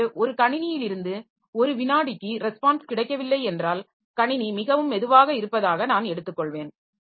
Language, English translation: Tamil, So, if I don't get a response from a computer for one second, then I will take that the system is pretty slow